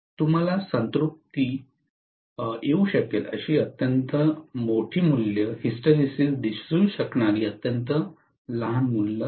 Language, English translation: Marathi, Extremely larger values you may encounter saturation, extremely smaller values you may see hysteresis